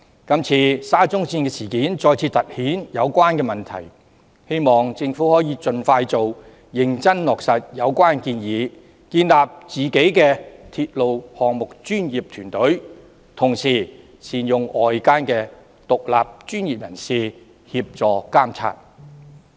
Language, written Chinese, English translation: Cantonese, 這次沙中線事件再次突顯有關問題，希望政府盡快認真落實有關建議，建立鐵路項目專業團隊，同時善用外間的獨立專業人士協助監察。, This incident of SCL has once again underlined the relevant problem . I hope the Government will seriously implement the recommendation as soon as possible establish a professional team for railway projects and at the same time properly engage external independent professionals to assist in monitoring